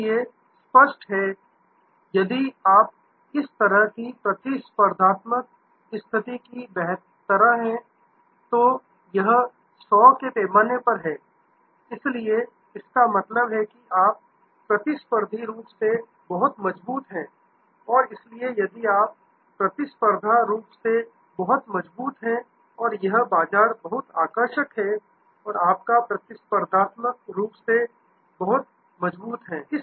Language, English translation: Hindi, So; obviously, if you are competitive position is like this is on a scale of 100, so which means here you are very strong competitively and, so if you are competitively very strong and that market is very attractive and your competitively very strong